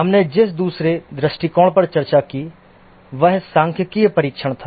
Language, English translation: Hindi, The second approach we discussed was statistical testing